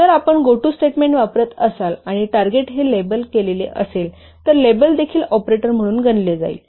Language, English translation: Marathi, So if you are using a go to statement and the target is a label, then also level is considered as an operator